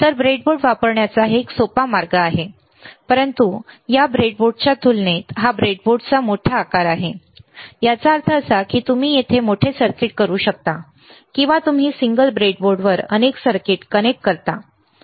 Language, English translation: Marathi, So, it is a easier way of using a breadboard, but this is a bigger size of the breadboard compared to this breadboard; that means, that you can have bigger circuit here, or you can test multiple circuits on the single breadboard, right